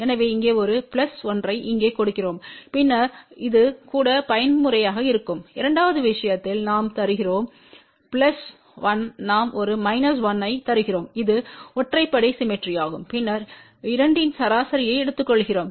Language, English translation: Tamil, So, we give a plus 1 here plus 1 here then this will be even mode in the second case we give plus 1 we give a minus 1 that is a odd symmetry and then we take the average of the 2